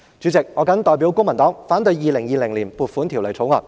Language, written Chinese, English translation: Cantonese, 主席，我謹代表公民黨反對《2020年撥款條例草案》。, President on behalf of the Civic Party I oppose the Appropriation Bill 2020